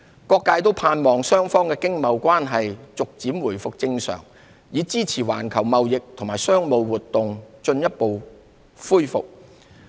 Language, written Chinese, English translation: Cantonese, 各界都盼望雙方的經貿關係逐漸回復正常，以支持環球貿易和商務活動進一步恢復。, The global community hopes that China - US economic and trade relations can gradually be back to normal thereby supporting further revival of global trade and business activities